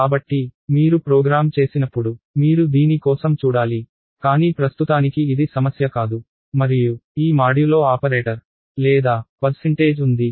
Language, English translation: Telugu, So, you have to watch out for this, when you program, but for now this is not a problem and then there is this modulo operator or percentage